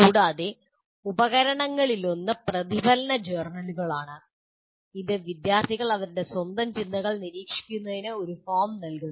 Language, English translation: Malayalam, Further, one of the tools is reflective journals providing a forum in which students monitor their own thinking